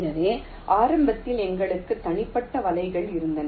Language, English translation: Tamil, so initially we had the individual nets